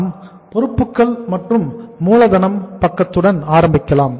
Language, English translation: Tamil, Let us start with the say uh liabilities and capital side